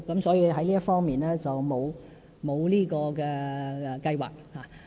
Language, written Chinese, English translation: Cantonese, 所以，在這方面並無相關計劃。, Therefore there is no plan in this regard